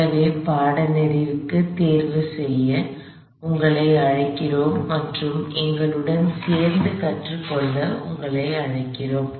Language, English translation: Tamil, So, we invite you to register for the course and we invite you to learn along with us